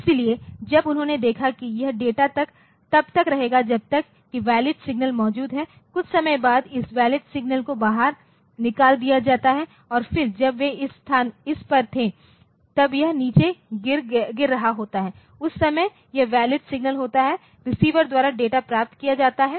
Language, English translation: Hindi, So, when they saw this the data will be there as long as the valid signal is there after sometime this valid signal is taken out and then when they were on this while it is falling down so, at that time so, this is the valid signal the data is received by the receiver